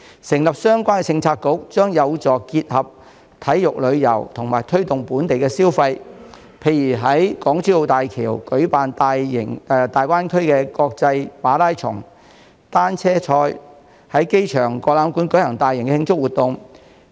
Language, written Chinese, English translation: Cantonese, 成立相關政策局，將有助結合體育旅遊和推動本地消費，例如可在港珠澳大橋舉辦粵港澳大灣區國際馬拉松或單車賽事，在亞洲國際博覽館舉行大型慶祝活動。, Establishing a relevant Policy Bureau can help combine sports and tourism and boost local consumption . For example Guangdong - Hong Kong - Macao Greater Bay Area GBA international marathon or cycling races may be staged on the Hong Kong - Zhuhai - Macao Bridge and major celebration events may be held in AsiaWorld - Expo